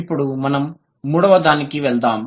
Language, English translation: Telugu, Now let's move to the third one